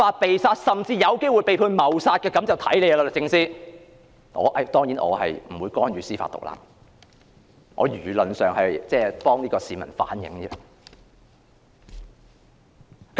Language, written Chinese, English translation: Cantonese, 不過，結果如何還要看律政司，我當然不會干預司法獨立，只是替一名市民反映意見而已。, And yet the outcome will depend on the Department of Justice . I certainly would not interfere with judicial independence; I just relay the views of a member of the public